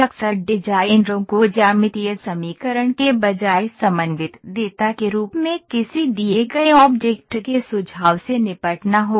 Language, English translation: Hindi, Often designers will have to deal with informations of a given object in the form of coordinate data rather than geometric equation